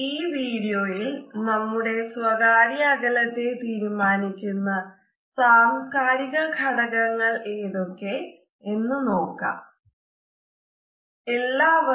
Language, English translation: Malayalam, In this particular video, we can look at the cultural aspects which govern our personal space